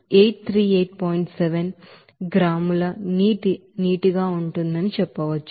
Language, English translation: Telugu, 7 gram of water